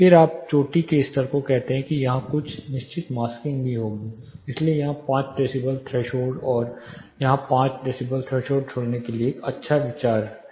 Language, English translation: Hindi, Then when you say the peak level there will also be certain masking here, so it is a good idea or a good practice to live a 5 decibel threshold here and another 5 decibel threshold here